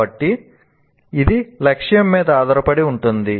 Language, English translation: Telugu, So it depends on the objective